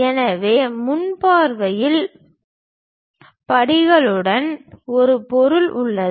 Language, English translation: Tamil, So, from the front view, there is an object with steps